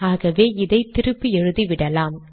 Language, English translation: Tamil, So this is what I have written here